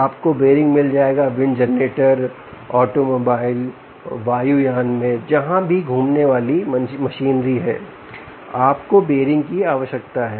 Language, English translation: Hindi, you will find bearings in wind generator, automobiles, aircrafts wherever there is rotating machinery